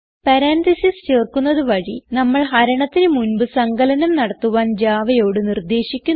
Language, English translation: Malayalam, By adding parentheses, we instruct Java to do the addition before the division